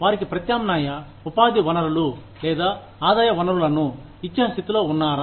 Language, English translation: Telugu, Are we in a position, to give them, alternative sources of employment or income